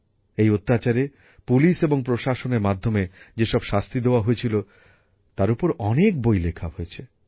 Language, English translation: Bengali, Many books have been written on these atrocities; the punishment meted out by the police and administration